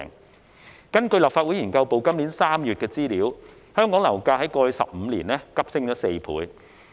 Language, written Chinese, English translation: Cantonese, 根據立法會秘書處資料研究組今年3月擬備的資料，香港樓價於過去15年內急升4倍。, According to the information prepared by the Research Office of the Legislative Council Secretariat in March this year the property price in Hong Kong had a four - fold surge in the past 15 years